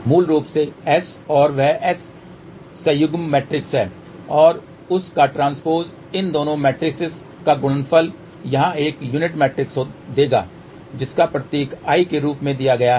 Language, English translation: Hindi, Basically S and that is S conjugate matrix and transpose of that that product of these two matrices will give a unique matrix over here which is given symbol as I